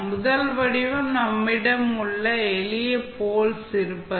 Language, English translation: Tamil, So, first form is when you have simple poles